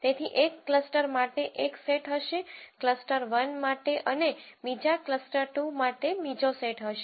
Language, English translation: Gujarati, So, there is going to be one set for one cluster, cluster 1 and there is going to be another set for the other cluster 2